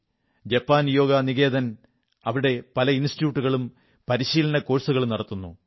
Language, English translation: Malayalam, Japan Yoga Niketan runs many institutes and conducts various training courses